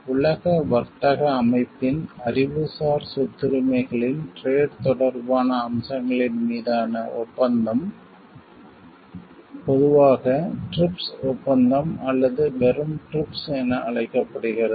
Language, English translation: Tamil, The agreement on trade related aspects of Intellectual Property Rights of the World Trade Organization is commonly known as TRIPS Agreement or just TRIPS